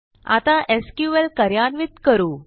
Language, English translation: Marathi, So, let us execute the SQL